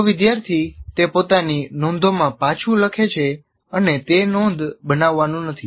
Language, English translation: Gujarati, If you write that back into your own notes, that doesn't become note making